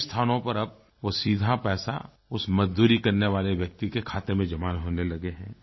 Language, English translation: Hindi, In many places the wages of the labourers is now being directly transferred into their accounts